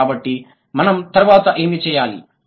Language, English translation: Telugu, So, what should we do next